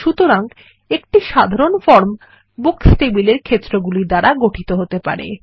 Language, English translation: Bengali, So a simple form can consist of the fields in the Books table